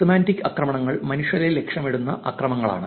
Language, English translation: Malayalam, Semantic attacks are attacks that happens where humans are targeted